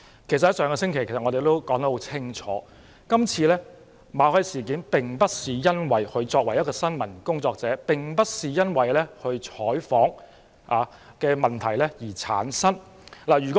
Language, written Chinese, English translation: Cantonese, 其實，我們上星期已說得很清楚，馬凱事件發生的原因，並非與他以新聞工作者的身份進行採訪有關。, As a matter of fact we stated clearly last week that the incident was not related to news reporting by Mr MALLET in his capacity as a news reporter